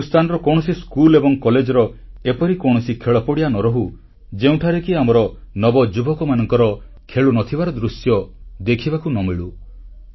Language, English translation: Odia, There should not be a single schoolcollege ground in India where we will not see our youngsters at play